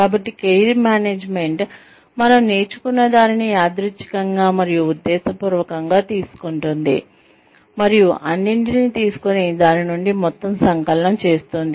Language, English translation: Telugu, So, Career Management is taking, whatever we learn, incidentally and intentionally, and taking all of it, and making a combined whole, out of it